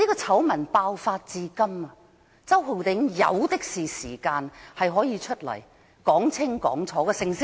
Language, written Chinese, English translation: Cantonese, 醜聞爆發至今，周浩鼎議員有的是時間，他可以走出來說清楚。, Since the outbreak of the scandal Mr Holden CHOW has plenty of time to clarify the ins and outs of the incident